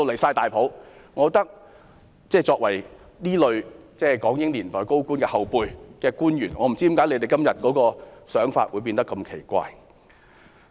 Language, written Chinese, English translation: Cantonese, 現在的官員是港英年代高官的後輩，我不知道為何他們今天的想法會變得如此奇怪。, I wonder why officials today who are the subordinates of senior officials of the British Hong Kong era have such a strange idea